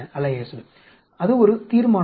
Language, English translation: Tamil, That is a resolution